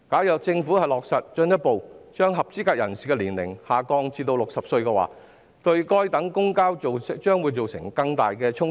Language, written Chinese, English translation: Cantonese, 若政府落實把合資格人士的年齡進一步下調至60歲，對該等公共交通將會造成更大的衝擊。, If the Government further lowers the eligible age to 60 it will deal a more serious blow to these modes of public transport